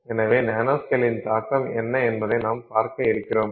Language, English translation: Tamil, So, now what is the impact of nanoscale